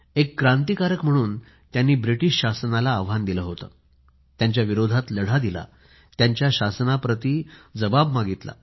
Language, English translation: Marathi, As a revolutionary, he challenged British rule, fought against them and questioned subjugation